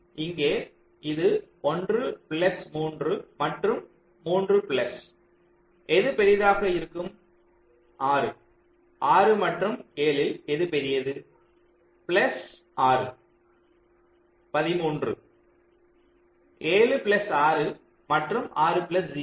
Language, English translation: Tamil, here it will be one plus three and three plus there, whichever is larger, six, six and seven, whichever is larger plus six, thirteen, seven plus six and six plus zero six